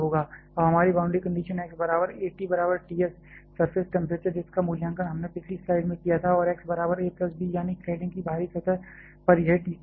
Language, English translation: Hindi, Now, our boundary conditions can be at x equal to a t is equal to T s, the surface temperature which we are evaluated in the previous slide and at x equal to a plus b; that is at the outer surface of the cladding it is equal to Tc